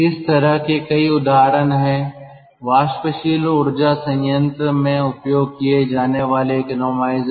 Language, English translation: Hindi, there are many such examples, economizers ah used in steam power plant